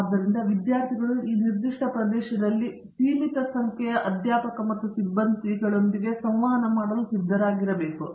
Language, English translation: Kannada, So, the students have to come prepared to be interacting with a limited number of faculty and a staff, in this specific area